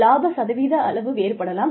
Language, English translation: Tamil, The amount, the percentage of the profits, can vary